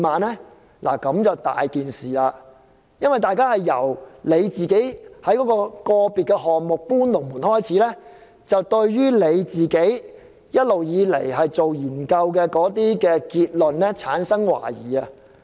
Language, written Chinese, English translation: Cantonese, 這樣麻煩就大了，一切問題由政府在個別項目"搬龍門"開始，大家對政府一直以來的研究結論產生懷疑。, All problems have arisen as a result of the Government moving the goalpost in respect of certain individual projects and people have doubt on the authenticity of all government findings over the years